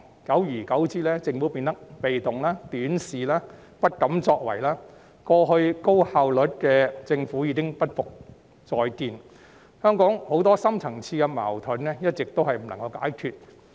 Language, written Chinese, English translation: Cantonese, 久而久之，政府變得被動、短視、不敢作為，過去高效率的政府已不再復見，香港很多深層次矛盾一直未能解決。, Over time the Government has become passive short - sighted and afraid to act . The once efficient Government has become a thing of the past leaving many deep - seated conflicts in Hong Kong unresolved